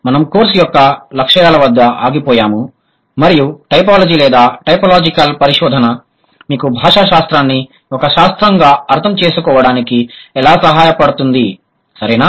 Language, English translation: Telugu, We stopped at the goals of the course and how typology is going to help you or typological research is going to help you to understand linguistics as a discipline better